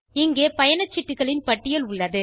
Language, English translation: Tamil, List of tickets is given here